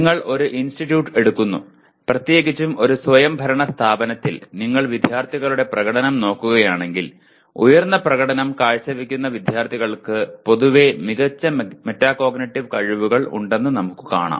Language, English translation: Malayalam, You take an institute and let us say in an autonomous institute especially, if you look at the performance of the students, high performing students generally have better metacognitive skills